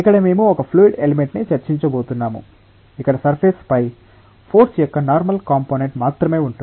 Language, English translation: Telugu, Here, we are going to discuss about a fluid element, where there is only normal component of force on the surface